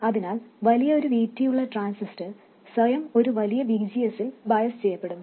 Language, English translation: Malayalam, So, a transistor with a larger VT will automatically get biased with a larger VGS